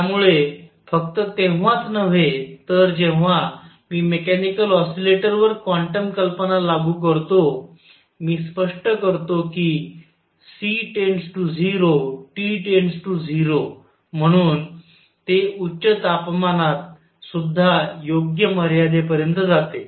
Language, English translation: Marathi, So, not only when I apply quantum ideas to mechanical oscillators, I explain that C goes to 0 as T goes to 0, it also goes to the correct limit in high temperature